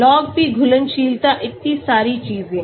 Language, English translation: Hindi, Log P, solubility so many things